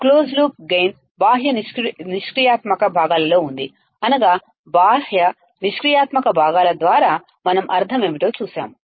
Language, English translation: Telugu, Closed loop gain is in the external passive components, that is, we have seen what do we mean by external passive components